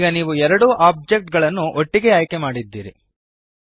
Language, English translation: Kannada, So now you have two objects selected at the same time